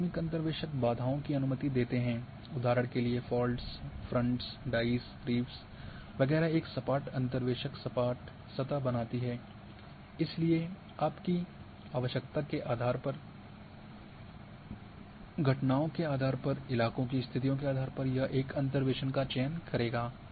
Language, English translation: Hindi, That, abrupt interpolators allows for barriers, for example; faults, fronts, dice, reefs etcetera a smooth interpolators produce a smooth surface, so depending on your requirement, depending on the phenomena, depending on the terrain conditions one would choose interpolation